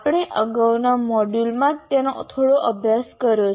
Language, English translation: Gujarati, We have explored a little bit in the earlier module